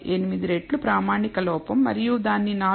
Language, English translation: Telugu, 18 times the standard error and that is what it is deemed 4